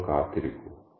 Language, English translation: Malayalam, Just you wait